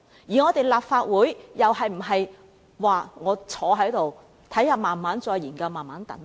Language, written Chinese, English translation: Cantonese, 而立法會又應否坐在這裏，慢慢再作研究和等待呢？, Should the Legislative Council sit here conduct studies slowly and wait?